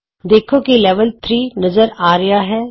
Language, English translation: Punjabi, Notice, that the Level displays 3